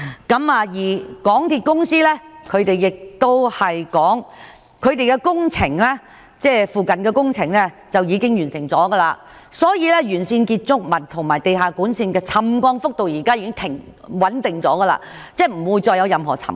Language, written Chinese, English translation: Cantonese, 港鐵公司則表示，土瓜灣站附近的工程已經完成，建築物和地下管線的沉降幅度現時已穩定下來，即不會再出現任何沉降。, According to MTRCL the works near the To Kwa Wan Station have been completed . Now the rate of settlement of buildings and underground utilities has stabilized . That means no more settlement will emerge